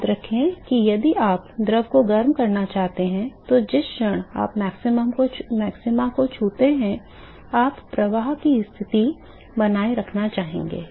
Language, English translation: Hindi, Remember I do this that where if you want to heat the fluid moment you touches the maxima you would like to maintain a flux condition